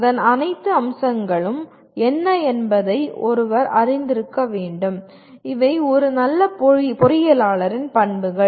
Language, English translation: Tamil, One should be aware of what are all its facets and these are broadly the characteristics of a good engineer